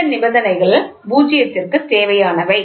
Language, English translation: Tamil, So, these are the conditions required for null